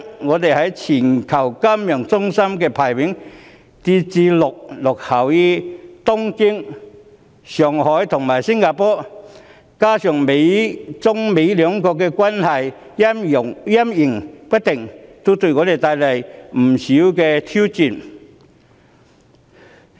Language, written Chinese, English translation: Cantonese, 我們在全球金融中心的排名跌至落後於東京、上海和新加坡，加上中美兩國關係陰晴不定，均對香港帶來不少的挑戰。, Our ranking as a global financial centre has fallen behind Tokyo Shanghai and Singapore; and the unsettling Sino - United States relationship has brought many challenges to Hong Kong